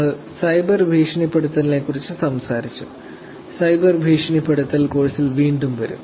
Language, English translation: Malayalam, Also we talked about cyber bullying, cyber bullying will come back again the course